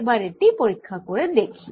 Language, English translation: Bengali, so let's try this again